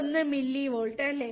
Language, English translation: Malayalam, 1 millivolts, 0